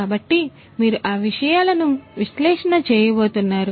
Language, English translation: Telugu, So, you would be analyzing those things